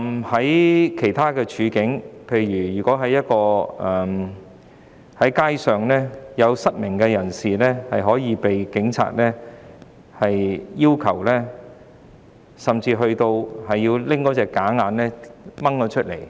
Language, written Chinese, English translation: Cantonese, 在其他情況下，例如在街上，曾有失明人士甚至被警員帶到警署，並被要求將假眼除下。, On one occasion a blind person on the street was taken to a police station by police officers and was asked to take off her artificial eyes